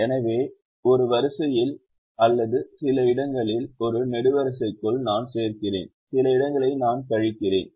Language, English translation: Tamil, so within a row or within a column, in some places i am adding and some places i am subtracting